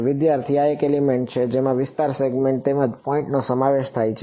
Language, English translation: Gujarati, This is one element consist of the area segment as well as those point will